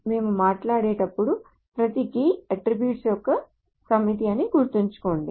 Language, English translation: Telugu, Now do remember that every key when we talk about is a set of attributes